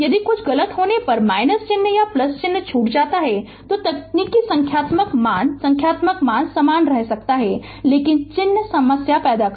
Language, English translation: Hindi, If you miss the minus sign or plus sign if something goes wrong, then your technique your numerical value numerical value may remain same, but the sign ah will create problem